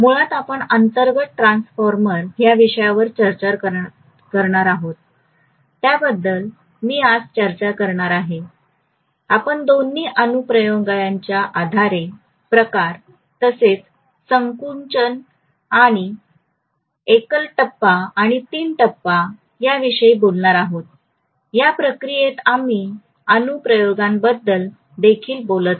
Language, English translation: Marathi, So the topic that we are going to cover under transformer basically are, let me talk about today first, I will be talking about types based on both applications as well as contraction and single phase and three phase these are the various types we will be talking about